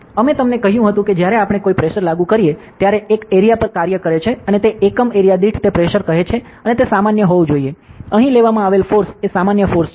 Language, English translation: Gujarati, So, we told you that, when we apply a force it acts on an area and that force per unit area is called as pressure and it should be normal, the force taken here is the normal force